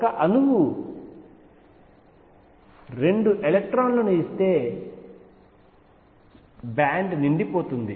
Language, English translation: Telugu, If an atom gives 2 electrons the band will be filled